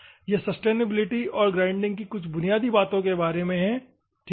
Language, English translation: Hindi, This is about sustainability and some of the basics of the grinding, ok